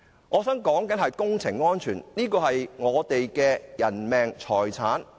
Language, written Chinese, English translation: Cantonese, 我說的是工程安全，關乎人命和財產。, The issue under discussion is work safety which concerns the lives and properties of the people